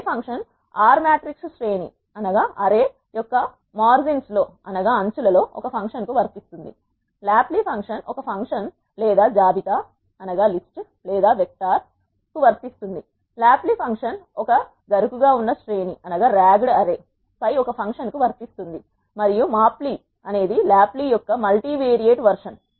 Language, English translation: Telugu, Apply function applies a function over the margins of an array R matrix, lapply function applies a function or a list or a vector, tapply function applies a function over a ragged array and mapply is a multivariate version of lapply